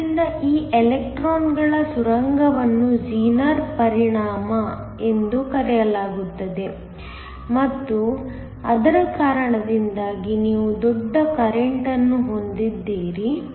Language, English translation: Kannada, So, this electrons tunneling is called the Zener effect and because of that, you have a large current